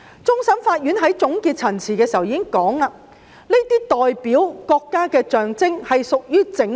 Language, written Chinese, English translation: Cantonese, 終審法院在判案書指出，"國旗是一個國家的象徵......, In its judgment the Court of Final Appeal CFA stated that A national flag is the symbol of a nation representing the whole of a group